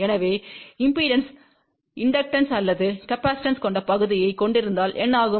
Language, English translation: Tamil, So, what happens if the impedance has inductive or capacitive part